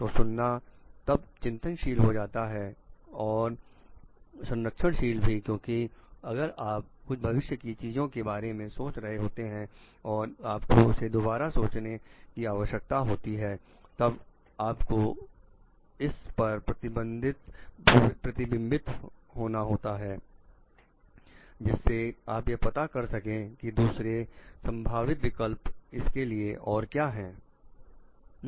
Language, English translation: Hindi, So, listening then reflective and persevering because, if you are thinking of certain future things and you need to rethink about it then you have to reflect on it to find out the other possible options for it